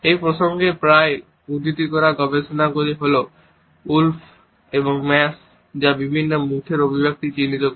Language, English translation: Bengali, The research which is often cited in this context is by Wolf and Mass which is identified various facial expressions which convey a happy face